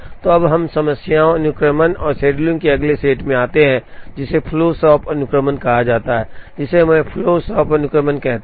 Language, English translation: Hindi, So, now we get into the next set of problems and sequencing and scheduling, which is called flow shop sequencing called flow shop sequencing, we explain it through a small example